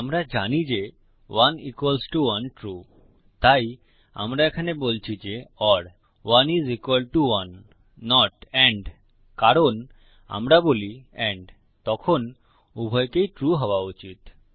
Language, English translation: Bengali, We know that 1 equals to 1 is true so here we are saying or 1 is equal to 1 not and because we said and then both would have to be true